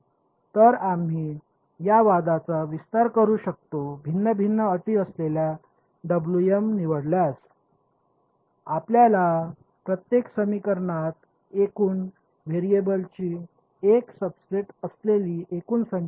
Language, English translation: Marathi, So, we can you can sort of extend this argument choose W m to be different different terms, you will get each equation will have only a subset of the total number of variables